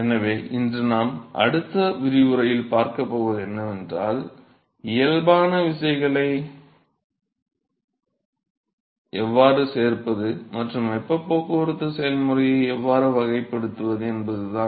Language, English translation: Tamil, So, what we are going to see in todays in the next lecture is, how to include the body forces and characterize the heat transport process